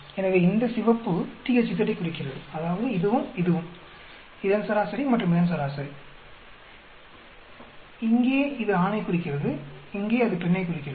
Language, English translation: Tamil, So, this red indicates THZ that is this and this average of this and average of this, and here it indicates male, here it indicates female